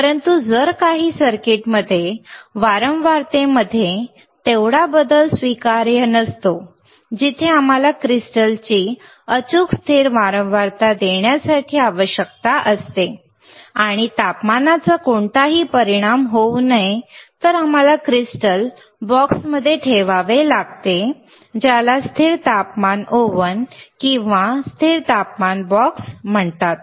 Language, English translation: Marathi, , bBut if that much also change in frequency is also not acceptable in some of the circuits, where we require the crystal to give us exact frequency, stable frequency, and there should be no effect of temperature, then we haved to keep the crystal in a box called the called the cConstant tTemperature bBox or cConstant tTemperature Ooven alright